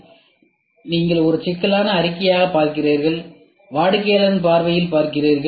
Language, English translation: Tamil, So, you look into as a problem statement, you look from the customer’s perspective